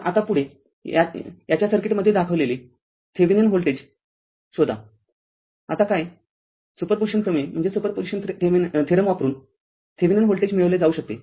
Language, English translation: Marathi, So, now next one is you obtain the Thevenin voltage shown in the circuit of this thing, now what to what Thevenin voltage also you can obtain by using super position theorem